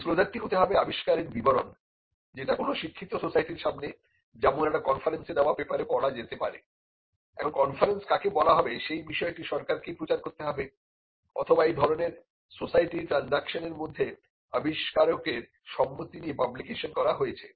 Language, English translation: Bengali, The disclosure should be a description of the invention, by a paper read before a learned society say a conference and if what amounts to a conference is a subject matter that has to be notified by the government or it was published with his consent in transactions of such a society